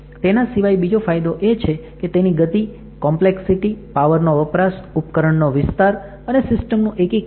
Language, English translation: Gujarati, Finally, another advantage is in speed, complexity, power consumption, its device area and system integration